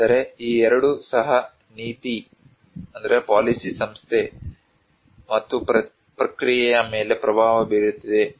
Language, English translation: Kannada, But these two also is influencing the policy institution and process